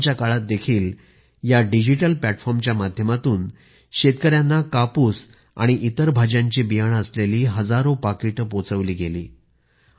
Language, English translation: Marathi, Even during lockdown, thousands of packets containing seeds of cotton and vegetables were delivered to farmers through this digital platform